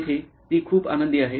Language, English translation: Marathi, Here she is very happy